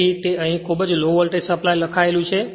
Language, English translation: Gujarati, So, it is written here very low voltage supply and this is V s c